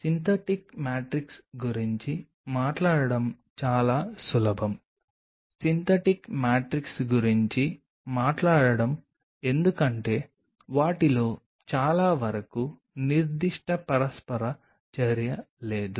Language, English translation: Telugu, So, talking about the synthetic matrix it is easy to talk about the synthetic matrix because most of them do not have any specific interaction such